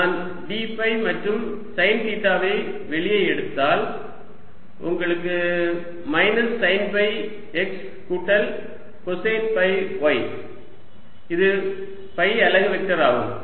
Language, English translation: Tamil, if i take d phi and sine theta out, your left with minus sine phi x, plus cosine phi y, which is phi unit vector, so i can write this as plus sine theta d phi, phi unit vector